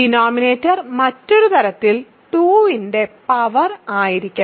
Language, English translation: Malayalam, So, denominator must be a power of 2 in other words